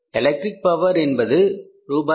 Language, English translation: Tamil, Electric power is 500